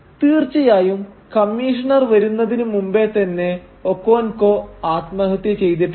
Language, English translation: Malayalam, Of course, before the Commissioner arrives Okonkwo has already committed suicide